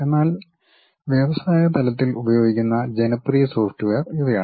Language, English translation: Malayalam, But these are the popular softwares used at industry level